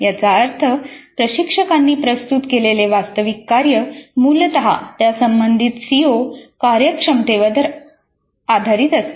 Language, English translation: Marathi, That means the actual task that the instructor presents is essentially based on the COO or the competency that is relevant